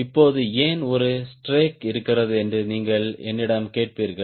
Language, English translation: Tamil, now you will ask me why there is a strake